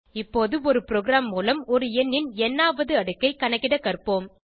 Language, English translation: Tamil, Lets now learn to find nth power of a number through a program